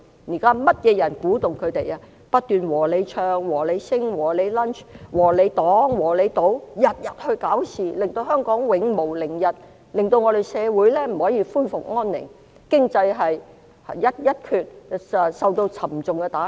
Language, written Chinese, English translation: Cantonese, 現在是甚麼人不斷鼓動他們，不斷"和你唱"、"和你 sing"、"和你 lunch"、"和你擋"、"和你堵"，天天生事，令香港永無寧日，社會不可以恢復安寧，經濟受到沉重打擊？, Now who is constantly inspiring them with such things as Sing with you Lunch with you Block with you and Stuck with you? . Such things happen every day so that Hong Kong will never be peaceful society can never be calm and the economy is hard - hit?